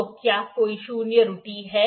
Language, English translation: Hindi, So, is there any zero error